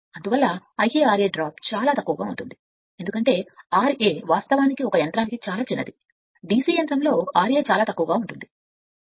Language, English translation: Telugu, Therefore, I a r a drop is very small because r a actually for a machine is very small, DC machine is very small right